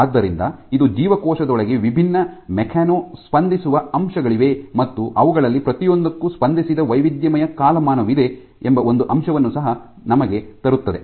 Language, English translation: Kannada, So, this also brings us one point that there are different mechano responsive elements within the cell and there are diverse timescale associated with each of them